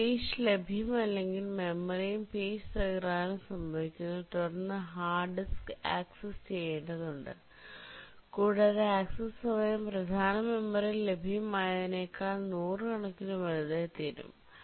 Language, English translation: Malayalam, But if the page is not available on the memory and page fault occurs, then the hard disk needs to be accessed and the access time becomes hundreds of time larger than when it is available in the main memory